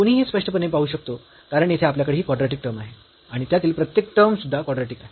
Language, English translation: Marathi, One can clearly see because we have this quadratic term there and each of them is also quadratic